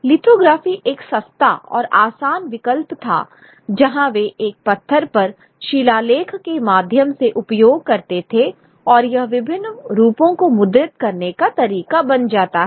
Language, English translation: Hindi, Lithography was a cheaper and easier option where they could use through, through inscriptions on a stone and that becomes the way to really print various forms